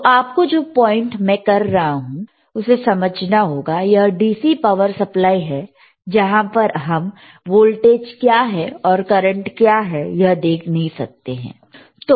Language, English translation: Hindi, So, you have to understand this thing, the point that I am making, is thisthis is the DC power supply where we cannot see what is the voltage is, we cannot see what is the current rightis